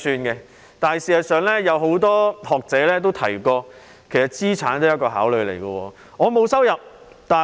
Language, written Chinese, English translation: Cantonese, 不過，事實上，很多學者也指出，資產也是考慮因素之一。, Yet in fact many academics have pointed out that assets should also be one of the considerations